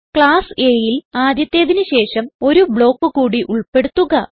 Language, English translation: Malayalam, Include one more block after the first one in class A